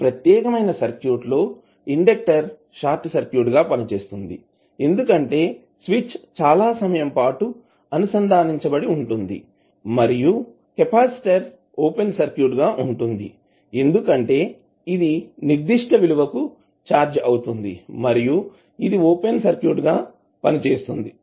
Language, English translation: Telugu, That this particular circuit will give inductor as a short circuit because it is switch is connected for very long period and the capacitor will be open circuit because it will be charge to certain value and it will act as an open circuit